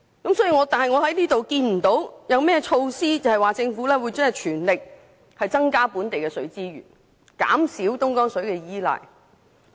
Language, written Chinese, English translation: Cantonese, 不過，我看不到政府有任何措施，全力增加本地的水資源，減少對東江水的依賴。, But we fail to see that the Government has done its very best and rolled any measures to increase local water resources and reduce our reliance on Dongjiang River water